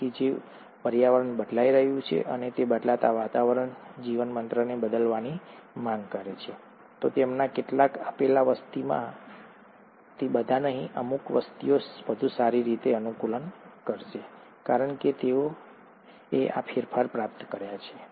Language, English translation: Gujarati, So, if the environment is changing and that changing environment demands the organism to change, some of them, not all of them in a given population, certain individuals will adapt better because they have acquired these modifications